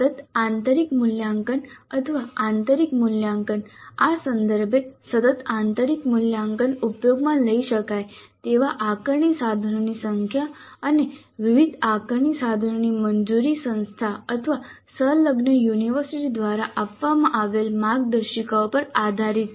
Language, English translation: Gujarati, The continuous internal evaluation or internal assessment, with respect to this, the number of assessment instruments that can be used in continuous internal assessment and the variety of assessment instruments allowed depend on the guidelines provided by the institute or affiliating university